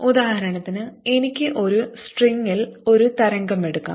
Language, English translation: Malayalam, we could take a wave on a string that is going